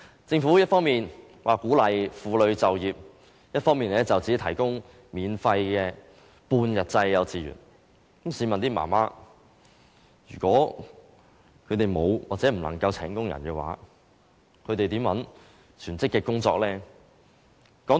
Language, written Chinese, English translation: Cantonese, 政府一方面說鼓勵婦女就業，另一方面只提供免費半日制幼稚園教育，試問這些母親如果沒有或不能夠聘請傭人，怎能找全職工作？, While the Government is saying that it encourages women to work it provides free education only in half - day kindergartens how then can mothers work on a full - time basis if they have not employed or cannot afford to employ domestic helpers?